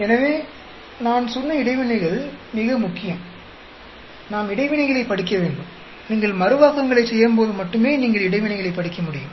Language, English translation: Tamil, So, interactions are very important I said and we need to study interactions; only when you do the replications, you will be able to study interactions